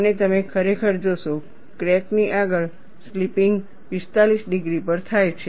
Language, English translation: Gujarati, And you indeed see, ahead of the crack slipping takes place at 45 degrees